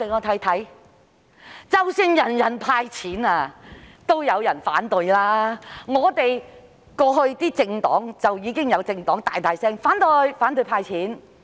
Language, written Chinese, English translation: Cantonese, 即使是全民"派錢"也有人反對，過去便有政黨大力反對"派錢"。, Even if there are universal cash handouts there are still people who oppose them and in the past some political parties strongly opposed the cash handouts